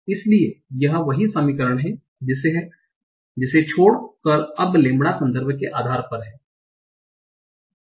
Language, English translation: Hindi, So this is the same equation, except that now lambda are depending on the context